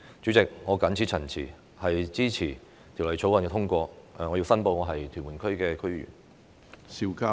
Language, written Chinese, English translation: Cantonese, 主席，我謹此陳辭，支持通過《條例草案》，並申報我是屯門區的區議員。, With these remarks President I support the passage of the Bill and declare that I am a member of the Tuen Mun DC